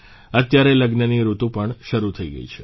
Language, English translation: Gujarati, The wedding season as wellhas commenced now